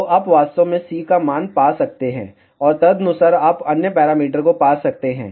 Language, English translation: Hindi, So, you can actually find the value of C, and correspondingly you can find the other parameters